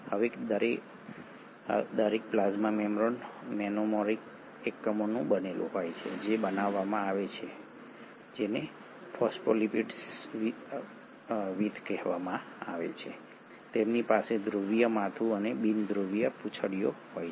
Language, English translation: Gujarati, Now each plasma membrane is made up of monomeric units which are made, called as phospholipids with; they have a polar head and the nonpolar tails